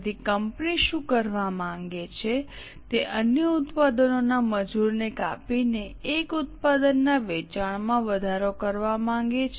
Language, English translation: Gujarati, So, what company wants to do is wanting to increase the sale of one product by cutting down the labor of other product